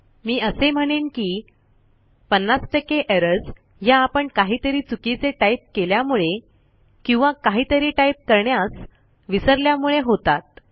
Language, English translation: Marathi, I would say a good 50% of errors that you encounter are when you either dont see something you have accidentally typed or you have missed out something